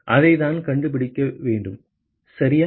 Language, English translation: Tamil, That is what we want to find ok